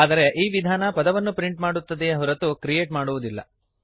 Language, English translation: Kannada, But this method only prints the word but does not create one